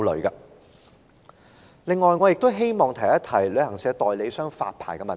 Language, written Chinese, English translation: Cantonese, 此外，我亦想談旅行代理商的發牌問題。, Besides I would also like to talk about the question pertaining to the licensing of travel agents